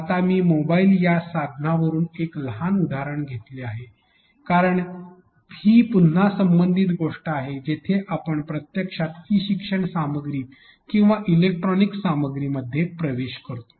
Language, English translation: Marathi, Moving next I have taken a small example from a mobile device because that is again relevant thing where we actually access e learning content or electronic content